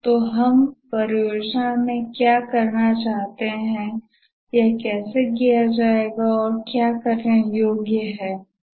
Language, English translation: Hindi, So, what we want to do in the project, how it will be done and what will be the deliverable